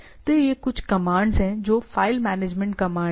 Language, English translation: Hindi, So, these are some of the commands which are file management command